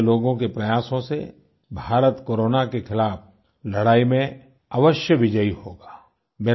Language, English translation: Hindi, Due to efforts of people like you, India will surely achieve victory in the battle against Corona